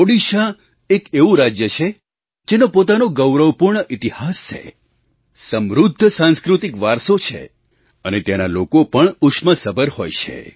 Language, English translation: Gujarati, Odisha has a dignified historical background and has a very rich cultural tradition